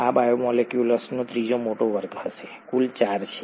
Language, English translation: Gujarati, This is going to be a third major class of biomolecules, totally there are four